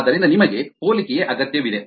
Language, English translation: Kannada, so you need comparison